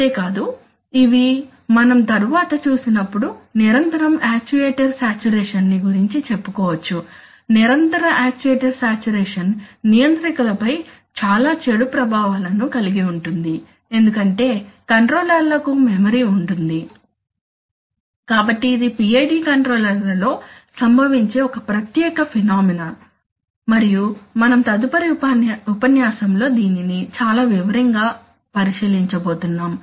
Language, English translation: Telugu, And not only that, these sometimes as, we shall see later that the, that says persistently actuator saturation, persistent actuator saturation has very bad effects on controllers especially with, because of the fact that controllers have memory, so this is a particular phenomenon which occurs in PID controllers and we are going to take a look at it in great detail in the next lecture